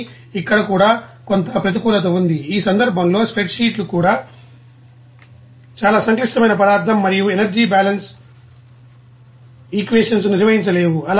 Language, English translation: Telugu, But here some disadvantage also there, in this case the spreadsheets cannot handle very complex material and energy balance equations